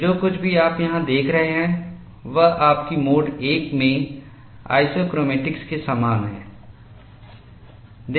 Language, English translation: Hindi, And this is very similar to your mode one isochromatics